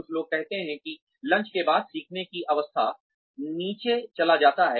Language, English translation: Hindi, Some people say that, the learning curve goes down, after lunch